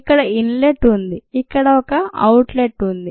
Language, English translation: Telugu, there is an inlet here, there is an outlet here